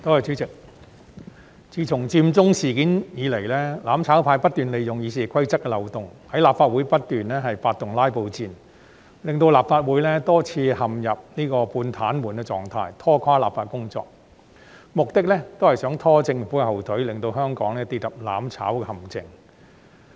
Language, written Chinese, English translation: Cantonese, 主席，自從佔中事件以來，"攬炒派"不斷利用《議事規則》的漏洞，在立法會發動"拉布戰"，令立法會多次陷入半癱瘓的狀態，拖垮立法的工作，目的是想"拖政府後腿"，令香港跌入"攬炒"的陷阱。, President since the Occupy Central movement the mutual destruction camp waged a filibuster battle by taking advantage of the loopholes in the Rules of Procedure RoP which had rendered the Legislative Council in a semi - paralysed state on many occasions and brought down legislative work for the purpose of dragging down the Government so that Hong Kong would fall into the trap of mutual destruction